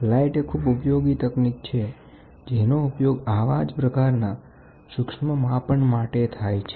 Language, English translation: Gujarati, Light is one powerful technique which can be used for such fine measurements